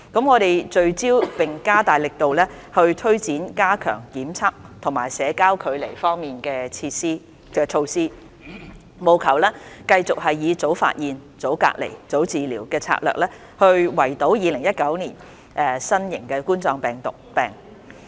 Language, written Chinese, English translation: Cantonese, 我們聚焦並加大力度推展加強檢測和社交距離方面的措施，務求繼續以"早發現、早隔離、早治療"的策略，圍堵2019冠狀病毒病。, We have focused on and stepped up the effort in taking forward enhanced measures in respect of quarantine and testing and social distancing with the aim of containing COVID - 19 continuously with the strategy of early identification early isolation and early treatment of the infected